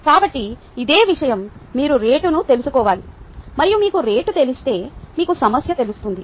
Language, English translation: Telugu, you need to know the rate and once you know the rate, you will know the time